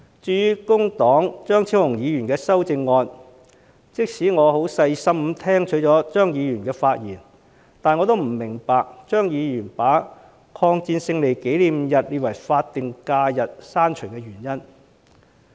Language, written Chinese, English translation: Cantonese, 至於工黨張超雄議員的修正案，即使我很細心地聆聽了張議員的發言，但我仍不明白張議員不把中國人民抗日戰爭勝利紀念日列為法定假日的原因。, With regard to the amendment proposed by Dr Fernando CHEUNG of the Labour Party no matter how careful I listened to Dr CHEUNGs speech I fail to understand why he objects to designate the Victory Day as a statutory holiday